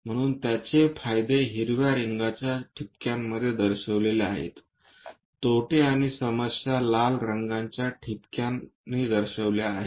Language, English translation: Marathi, So, the advantages are shown in green colour dots, the disadvantages or problems are shown in red colour dots